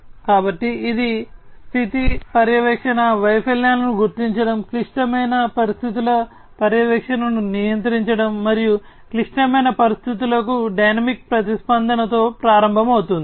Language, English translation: Telugu, So, it will start with the monitoring status monitoring, failure detection, control critical condition monitoring, and the dynamic response to critical conditions